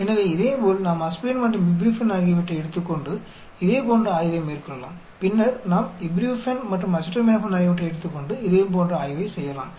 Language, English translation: Tamil, So similarly, we can take aspirin and ibuprofen and do the similar study and then we can take ibuprofen and acetaminophen and do the similar study and so on actually